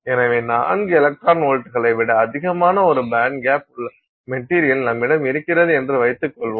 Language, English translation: Tamil, So, let's just assume that this is the case that we have a material that is a band gap that is greater than 4 electron volts